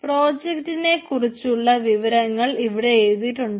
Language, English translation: Malayalam, so information about the project will be listed here